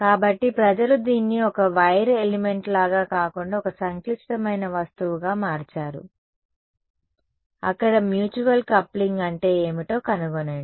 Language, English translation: Telugu, So, people have used this as a model for not just like a one wire element, but make it a complicated object find out what is the mutual coupling over there ok